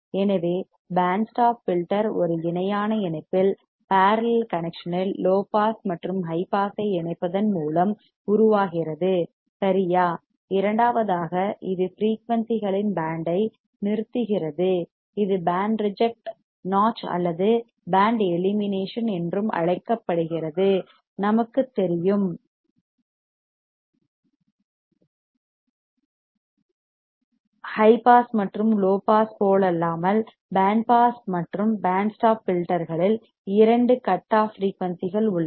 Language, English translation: Tamil, So, the band stop filter is formed by combination of low pass and high pass in a parallel connection right second is it will stop band of frequencies is also called band reject notch or band elimination, we know that unlike high pass and low pass filter band pass and band stop filters have two cutoff frequencies right see here 1, here 2 same way in band pass filter